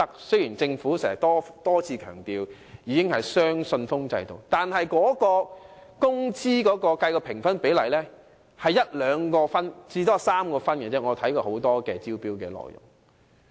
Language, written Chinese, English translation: Cantonese, 雖然政府多次強調已採用"雙信封制"招標，但根據我查閱的眾多招標文件，工資的評分比例只佔1分、2分或最多3分。, Although the Government has repeatedly stressed that it has adopted the two - envelope tendering approach I find that the wage element only accounts 1 2 or 3 points at most in the scoring system based on the tender documents I have reviewed